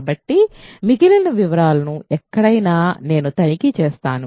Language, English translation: Telugu, So, anywhere the remaining details I will let you check